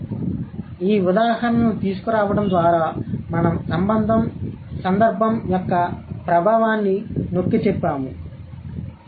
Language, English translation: Telugu, So, bringing in these examples we emphasized the influence of context